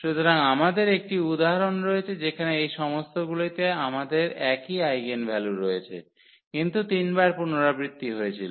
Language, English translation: Bengali, So, we have an example where all these we have the same eigenvalues, but repeated three times